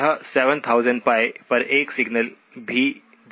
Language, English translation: Hindi, It will also place a signal at minus 7000pi, okay